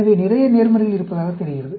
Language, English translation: Tamil, So, lot of positives appear to be there